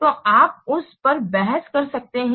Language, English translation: Hindi, So we can evaluate it